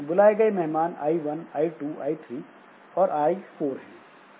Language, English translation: Hindi, So, I have got the invited guest, I1, I2, I3 and I4